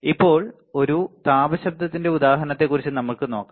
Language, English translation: Malayalam, Now, let us see about example of a thermal noise